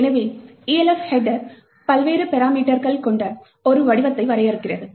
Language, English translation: Tamil, So, the Elf header defines a structure with various parameters